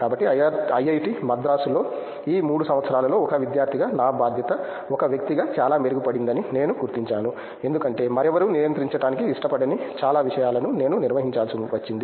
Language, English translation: Telugu, So, during this 3 years at IIT Madras, I found that my responsibility as a student, as a may be as an individual improved a lot because I had to handle so much of things which nobody else was like controlling